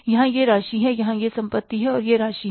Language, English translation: Hindi, Here it is the amount, here it is the assets and it is the amount